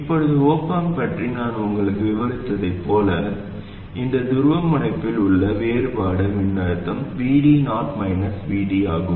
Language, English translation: Tamil, Now, going by what I described to you just about the op amp, the difference voltage in this polarity is VD 0 minus VD